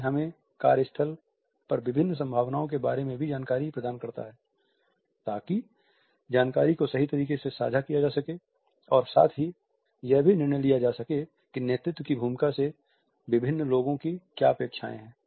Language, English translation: Hindi, It also provides us insight into different possibilities at the work place in order to share information properly and at the same time to judge what are the expectations of different people from leadership role